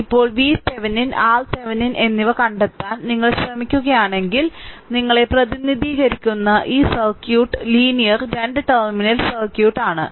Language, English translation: Malayalam, Now, if you try to find out that V Thevenin and R Thevenin, then this circuit you are represented like this is linear 2 terminal circuit